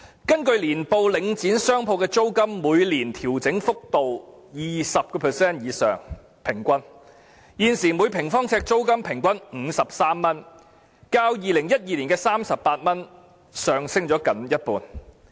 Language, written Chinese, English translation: Cantonese, 根據其年報，領展商鋪的租金每年調整幅度平均是 20% 以上，現時每平方呎租金平均為53元，較2012年的38元上升接近一半。, According to its annual reports the rate of annual rental adjustment for shops under Link REIT is over 20 % on average . The current average rental is 53 per square foot which is almost 50 % higher than that of 38 in 2012